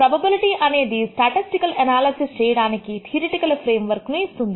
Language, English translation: Telugu, Probability provides a theoretical framework for providing, for performing statistical analysis of data